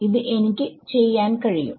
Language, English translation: Malayalam, I can do that